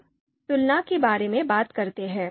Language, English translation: Hindi, Now let’s talk about comparisons